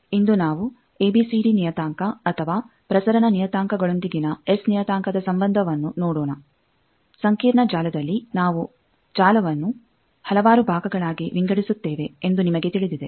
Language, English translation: Kannada, Particularly today we will see the relationship of S parameter with ABCD parameter or transmission parameters as you know that in a complex network we divide the network into several parts